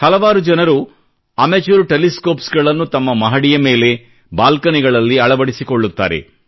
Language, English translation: Kannada, Many people install amateur telescopes on their balconies or terrace